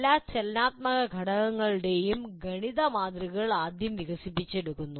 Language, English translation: Malayalam, And mathematical models of all the dynamic elements are developed first